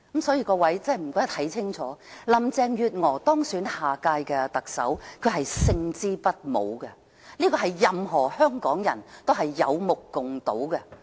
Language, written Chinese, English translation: Cantonese, 所以，請各位看清楚，林鄭月娥當選下任特首，她是勝之不武，這是任何香港人有目共睹的。, We have to realize that while Carrie LAM was elected Hong Kongs next Chief Executive it is an ignominious victory for her